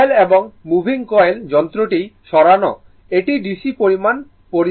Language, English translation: Bengali, Moving coil and moving coil instrument, it measure the DC quantity